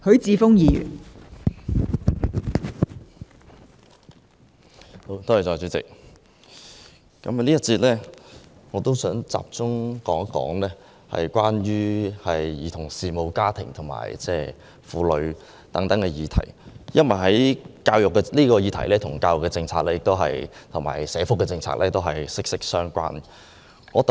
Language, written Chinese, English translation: Cantonese, 代理主席，我想在這個辯論環節集中討論兒童事務、家庭及婦女等議題，因為這些議題與教育及社福政策息息相關。, Deputy President I wish to focus on issues concerning childrens affairs families and women in this session since they are closely related to education and social welfare policies